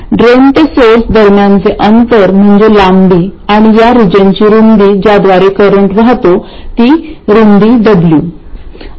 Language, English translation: Marathi, The distance between drain to source is the length and the width of this region through which the current flows that is the width W